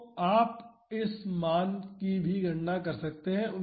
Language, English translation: Hindi, So, you can calculate this value as well